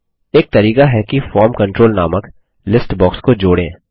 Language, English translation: Hindi, One way is to add a form control called List box